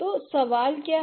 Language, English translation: Hindi, So, what are the questions